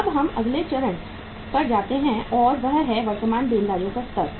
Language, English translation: Hindi, Now we go to the next stage and that stage is the current liabilities